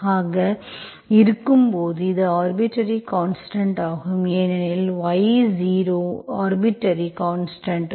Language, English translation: Tamil, When you have like this, so this is your general solution because y0 is arbitrary constant